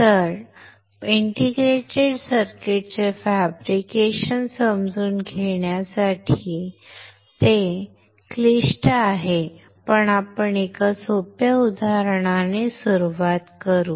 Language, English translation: Marathi, But to understand the fabrication of integrated circuit which is complex we will start with an easy example